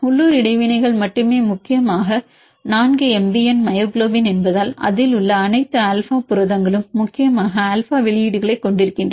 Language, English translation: Tamil, Only local interactions mainly because 4 MBN is myoglobin, its all alpha proteins it contains mainly alpha releases this is the reason why this value is 0